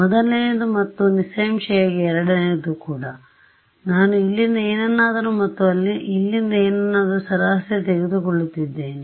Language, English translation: Kannada, The first one; obviously and the second one also right I am taking the average of something from here and something from here